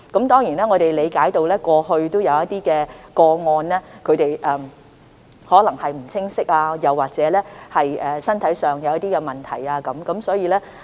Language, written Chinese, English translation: Cantonese, 當然，我們理解過去有些人士可能不清楚有關安排，又或是身體出現一些問題。, Certainly we understand that in the past some persons under quarantine did not fully understand the arrangement or they might have certain health problems